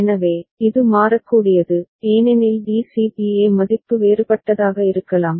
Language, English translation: Tamil, So, this is variable because DCBA value can be different right